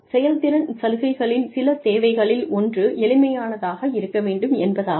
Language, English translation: Tamil, Some requirements of performance incentives are, one is simplicity